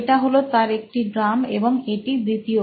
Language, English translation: Bengali, I guess that is the second drum